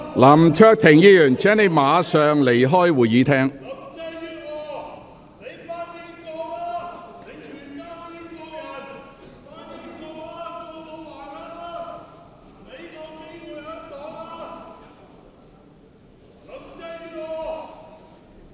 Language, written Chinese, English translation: Cantonese, 林卓廷議員，請你立即離開會議廳。, Mr LAM Cheuk - ting please leave the Chamber immediately